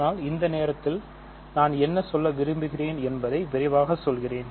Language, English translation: Tamil, But at this point I will just want to quickly tell you what I mean